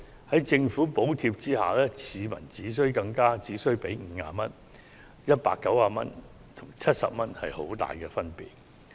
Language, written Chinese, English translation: Cantonese, 在政府補貼下，市民只需支付50元，而190元跟70元之間，確實是有很大分別。, With subsidy from the Government users will need to pay 50 only and there is indeed a huge difference between 190 and 70